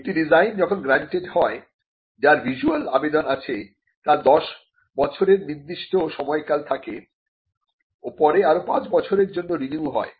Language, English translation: Bengali, When granted a design, which is has a visual appeal has a 10 year term and the 10 year term can be renewed to a further 5 year term